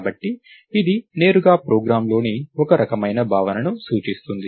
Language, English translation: Telugu, So, it directly represents some kind of a concept in a program